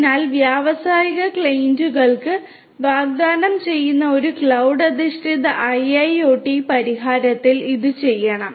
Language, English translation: Malayalam, So, this is what should be done in a cloud based IIoT solution that is offered to the industrial clients